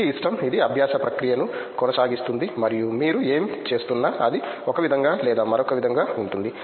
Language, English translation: Telugu, It’s like, it is continues learning process and whatever you are doing it will be right in one way or another